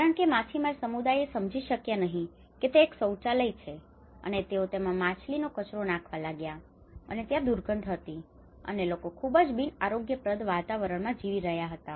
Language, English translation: Gujarati, Because the fishermen community what they did was they did not understand it was a toilet and they started putting a whole the fish dirt into that, and it was like foul smell and people are living in a very unhygienic environment